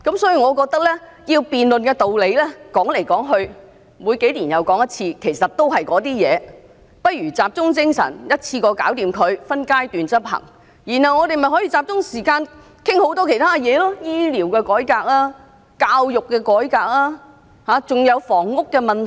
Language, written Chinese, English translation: Cantonese, 所以，我認為要辯論的道理每隔數年又再提出，說來說去其實都是那些內容，不如集中精神把它一次做好，再分階段執行，然後我們便可以集中時間討論其他事項，例如醫療改革、教育改革和房屋問題等。, Instead of debating the issue and repeating the same points once every few years we should concentrate our efforts on settling the issue in one go and implement by phases . As such we can focus on discussing other matters such as health care reform education reform and housing problem